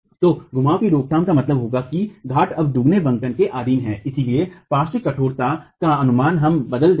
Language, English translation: Hindi, So, prevention of rotations would mean the peer is subjected to double bending now and therefore the estimate of lateral stiffness will change